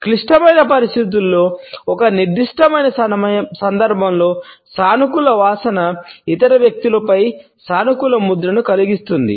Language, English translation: Telugu, A positive smell in a particular context in a critical situation can create a positive impression on the other people